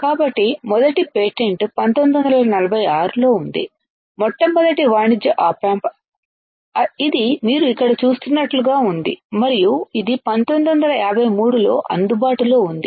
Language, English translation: Telugu, So, the first patent was in 1946; the first commercial op amp, it looked like this you see here and it was available in 1953, 1953